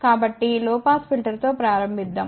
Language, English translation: Telugu, So, let us start low pass filter